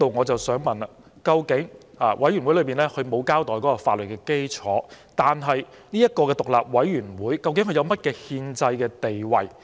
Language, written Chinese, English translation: Cantonese, 就此，由於檢討委員會並沒有交代有關的法律基礎，我想問究竟這個獨立委員會有何憲制地位？, In this connection as IRC has not explained the relevant legal basis may I ask what constitutional status this independent committee has?